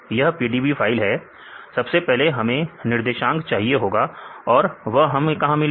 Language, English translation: Hindi, This is the PDB file, so we need to get the coordinates where shall we get the coordinates